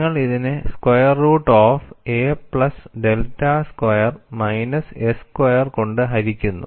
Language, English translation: Malayalam, You integrate a to a plus delta 1 by square root of a plus delta square minus s square into ds